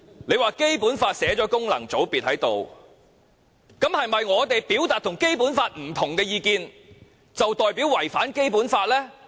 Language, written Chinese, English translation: Cantonese, 他說《基本法》訂明功能界別的存在，這是否代表我們表達跟《基本法》不同的意見，便違反《基本法》呢？, He said that the Basic Law provides for the existence of functional constituencies but does this mean that we have violated the Basic Law if we express views different from its provisions?